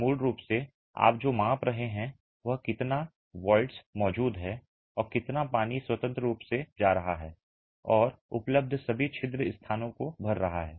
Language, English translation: Hindi, Basically what you are measuring is how much voids are present and how much water is freely going in and filling up all the pore spaces that are available